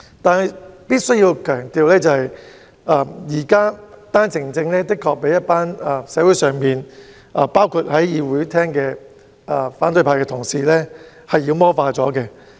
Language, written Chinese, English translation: Cantonese, 但是，我須強調，現時單程證的確被社會，包括會議廳的反對派同事妖魔化。, However I must emphasize that OWP has certainly been demonized by the community and by the opposition Members in the Chamber